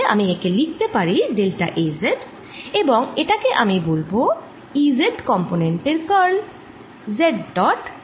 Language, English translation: Bengali, so i can write this as delta a, z, and this i am going to define as curl of e z component